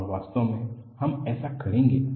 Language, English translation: Hindi, And, in fact, we would do this